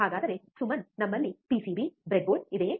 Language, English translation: Kannada, So, Suman do we have the PCB, breadboard